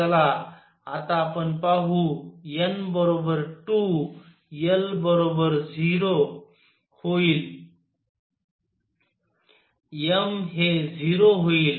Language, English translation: Marathi, Let us see now n equals 2, l will be 0, m would be 0